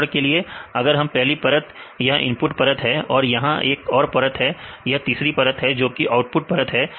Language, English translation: Hindi, For example, if the layer one this is the input layer right and this another layer, the layer 3, the output layer